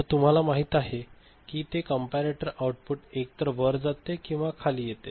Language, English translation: Marathi, So, a you know either it is going up or it is coming down the comparator output